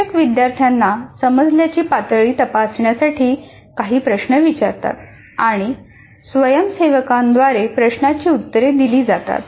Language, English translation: Marathi, Teacher asks some questions to check understanding and the questions are answered well by the volunteers